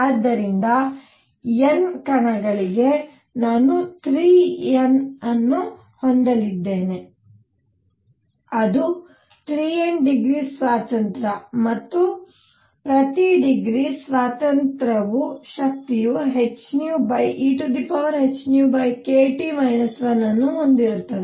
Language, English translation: Kannada, And therefore for N particles, I am going to have 3 N that is 3 N degrees of freedom and each degree of freedom has energy e raise to h nu over e raise to h nu over k T minus 1